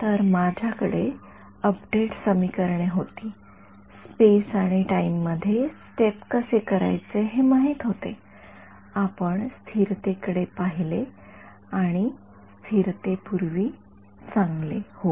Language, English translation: Marathi, So, we had our update equations we knew how to step it in space and time, we looked at stability and before stability well yeah